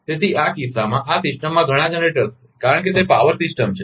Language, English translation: Gujarati, So, in this system; in this system there are many generators because it is a power system